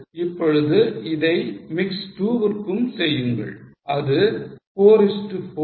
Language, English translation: Tamil, Now do it for mix 2 which is 4 is to 4